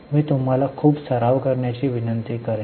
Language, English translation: Marathi, I will request you to practice a lot